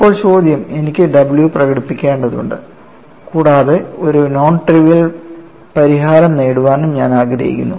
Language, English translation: Malayalam, Now, the question is I need to have this w expressed and I want to have a non trivial solution, so I should satisfy this equilibrium equation